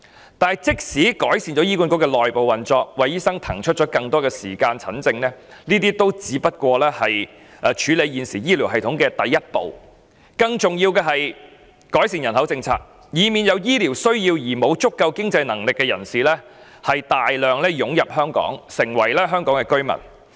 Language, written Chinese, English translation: Cantonese, 然而，即使醫管局的內部運作有所改善，為醫生騰出更多時間診症，凡此種種皆只是處理現時醫療系統問題的第一步，更重要的是改善人口政策，以免有醫療需要而沒有足夠經濟能力的人士大量湧入香港，成為香港居民。, Nevertheless even if HAs internal operation is improved to the extent of enabling doctors to spare more time for medical consultation all this is only the very first step in tackling the existing problems with the healthcare system . More importantly the population policy must be refined so as to avoid the massive influx of people in need of medical care who lack sufficient means into Hong Kong and the granting of the Hong Kong resident status to them